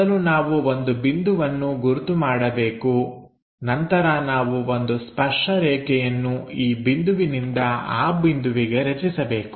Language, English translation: Kannada, So, first locate a point then we have to construct a tangent from this point to that point